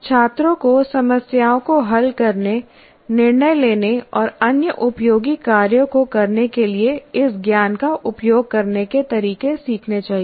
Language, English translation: Hindi, And also the students must learn ways to use this knowledge to solve problems, make judgments, and carry out other useful tasks